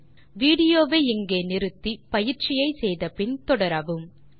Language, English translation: Tamil, Now, pause the video here, try out the following exercise and resume the video